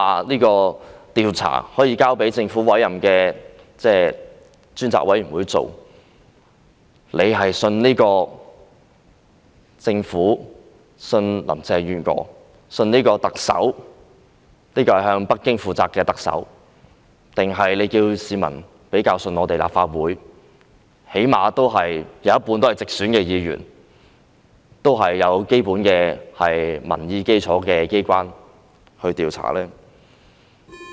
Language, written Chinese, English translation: Cantonese, 你們說可以交給政府委任的獨立調查委員會調查，叫市民相信這個政府、相信林鄭月娥這位向北京負責的特首，還是市民較相信由立法會這最低限度有一半直選議員及有基本民意基礎的機關作出調查呢？, You said that we could leave it to the Commission appointed by the Government to conduct an inquiry and you tell the public to trust this Government and to trust this Chief Executive Carrie LAM who is responsible to Beijing but would the public rather trust an inquiry conducted by the Legislative Council which at least has half of its Members returned by direct elections and which basically has the mandate from the people?